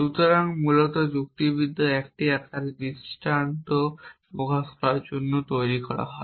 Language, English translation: Bengali, So, essentially logics are devised to express instances in 1 form of the other